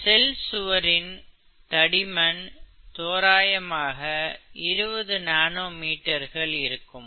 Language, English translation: Tamil, Typical cell wall is about twenty nanometers thick, okay